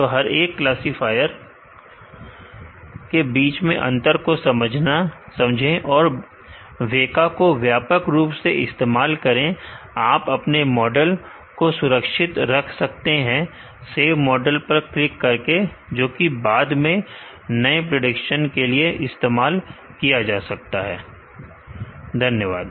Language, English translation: Hindi, So, understand the difference between each classifier and use the WEKA wisely, you can save your model by clicking on the save model, which can be used later for new predictions